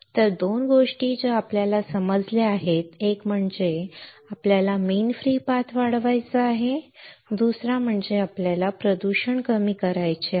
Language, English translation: Marathi, So, 2 things that we understood is one is we have to increase the mean free path second is we have to reduce the contamination